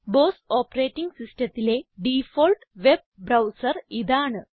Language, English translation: Malayalam, This is the default web browser on the BOSS Operating System